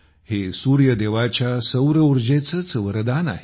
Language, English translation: Marathi, This is the very boon of Sun God's solar energy